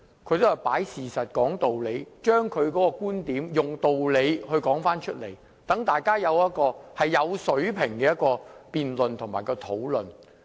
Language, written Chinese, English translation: Cantonese, 她也是擺事實、講道理，以道理說出觀點，令大家可以進行有水平的辯論和討論。, She illustrates her arguments rationally based on facts . By logically presenting her points she enables the Council to debate and deliberate respectably